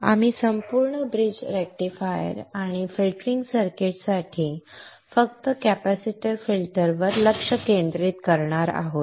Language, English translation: Marathi, We will be focusing on the full bridge rectifier and only the capacitor filter for the filtering circuit